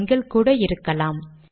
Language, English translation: Tamil, Numbers are the same